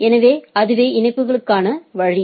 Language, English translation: Tamil, So, that is the way of connectivity